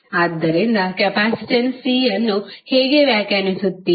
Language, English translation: Kannada, So, how you will define capacitance C